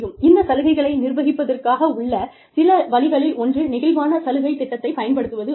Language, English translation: Tamil, One of the ways, of administering benefits is, using a flexible benefits program